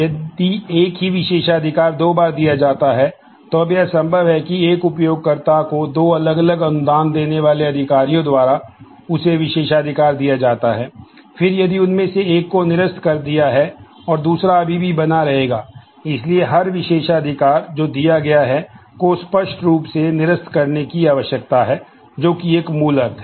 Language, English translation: Hindi, If the same privileges granted twice, now it is possible that a user gets privilege granted to him or her by two different granting authorities, then if ones is one of them is revoked the other will still continue to remain; So, every privilege that is granted needs to be explicitly revoked that is a basic meaning